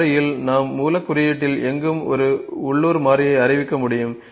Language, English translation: Tamil, So, this variable we can declare a local variable anywhere within the source code